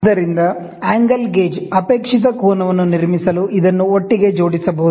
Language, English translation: Kannada, So, the angle gauge, this can be wrung together to build up a desired angle